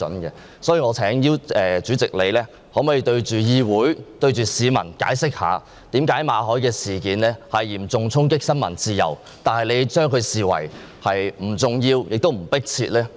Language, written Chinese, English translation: Cantonese, 因此，我想請主席向各位議員及市民解釋一下，為何馬凱事件嚴重衝擊新聞自由，但你卻視之為不重要、不迫切呢？, I thus wish to ask you President to explain to Members and the public why you regard the Mallet incident which has dealt a severe blow to press freedom as neither important nor urgent